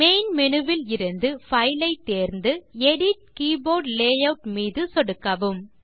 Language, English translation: Tamil, From the Main menu, select File, and click Edit Keyboard Layout